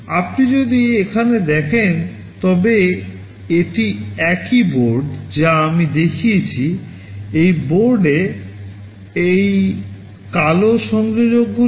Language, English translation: Bengali, If you see here this is the same board that I had shown